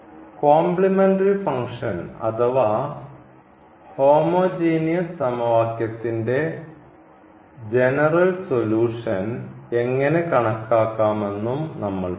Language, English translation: Malayalam, So, we have to find a general solution of the homogenous equation or rather we call it complementary functions